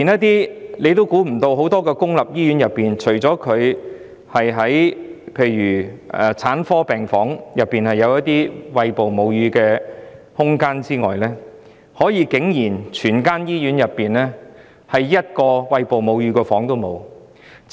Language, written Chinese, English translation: Cantonese, 大家也想不到，在一間公立醫院，除了在產科病房內有餵哺母乳的空間外，竟然連一間餵哺母乳的房間也沒有。, One can hardly imagine that not a single room has been reserved for breastfeeding in a public hospital apart from the breastfeeding space in obstetric wards